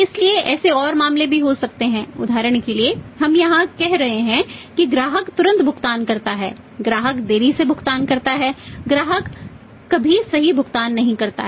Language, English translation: Hindi, So, there can be more cases also say for example we are saying here customer pays promptly, customer delays payment customer never pays right